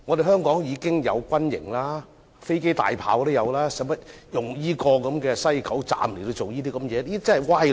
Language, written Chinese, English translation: Cantonese, 香港現時已有軍營、飛機和大炮，又何須利用西九龍站進行這些活動？, There are barracks aircrafts and artillery in Hong Kong so why is there a need to use WKS for such purposes?